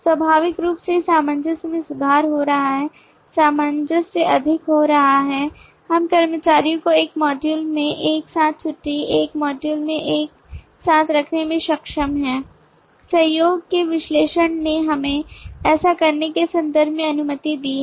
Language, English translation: Hindi, naturally the cohesion is improving, cohesion is becoming high we have been able to kind of put the employees together in a module the leave together in a module, the analysis of the collaboration has allowed us in terms of doing that